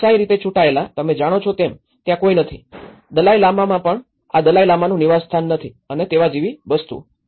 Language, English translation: Gujarati, democratically elected, you know so there is no, at least in Dalai Lama there is no residence of this Dalai Lama and things like that